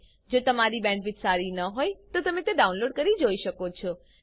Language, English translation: Gujarati, If you do not have good bandwidth, you can download and watch the videos